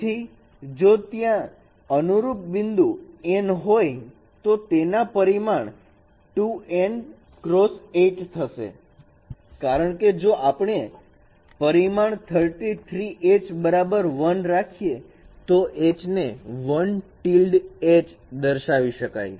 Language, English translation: Gujarati, So if there are n point correspondences so dimension of a dimension of e would be 2 n cross 8 because if we set the parameter H3 equals 1, so the representation of H would be h tilde 1